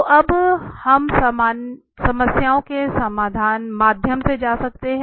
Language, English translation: Hindi, Okay, well so we can now go through the problems